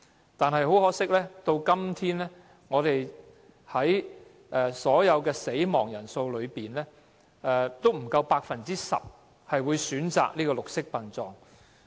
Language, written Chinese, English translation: Cantonese, 然而，很可惜，相對於整體死亡人數，不足 10% 的先人家屬會選擇綠色殯葬。, Regrettably however as far as the total number of deaths is concerned less than 10 % of the relatives of the deceased would choose green burial